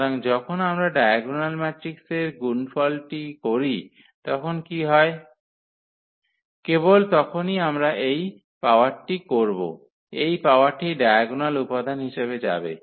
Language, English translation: Bengali, So, what happens when we do the product of the diagonal matrix just simply we will this power; this power will go to the diagonal entries